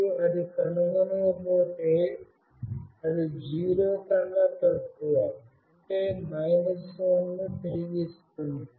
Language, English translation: Telugu, And if it does not find that, it will return something less than 0, that is, minus 1